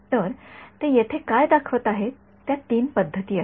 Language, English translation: Marathi, So, what they are showing here are those three modes